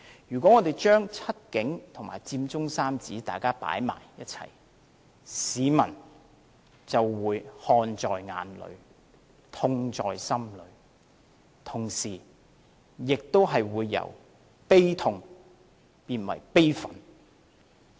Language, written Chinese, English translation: Cantonese, 如果我們將"七警"和佔中三子放在一起，市民就會看在眼裏，痛在心裏，同時，亦會由感到悲痛變為感到悲憤。, Comparing side by side The Seven Cops and the Occupy Central Trio people observe the facts and then feel the pain . At the same time their sorrow will turn into indignation